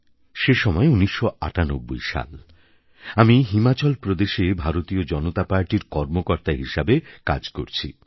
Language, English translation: Bengali, I was then a party worker with the Bharatiya Janata Party organization in Himachal